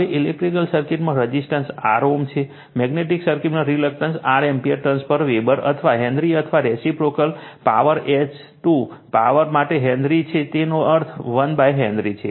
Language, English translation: Gujarati, Now, resistance R ohm in electric circuit in per magnetic circuit, reluctance R ampere turns per Weber or Henry or your reciprocal right Henry to the power H 2 the power minus that means, 1 upon Henry right